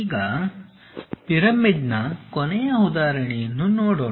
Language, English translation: Kannada, Now, let us look at a last example pyramid